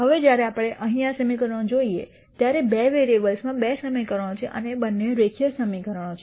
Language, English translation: Gujarati, Now, when we look at this equation here there are two equations in two variables and both are linear equations